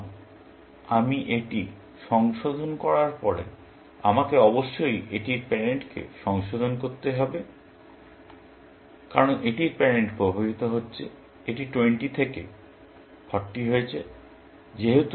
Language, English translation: Bengali, Now, after I revise this, I must revise its parent, because its parent is getting affected; it has got from 20 to 40